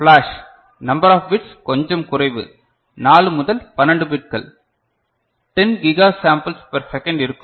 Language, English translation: Tamil, Flash number of bits are a bit smaller 4 to 12 bits for 10 Giga simple per second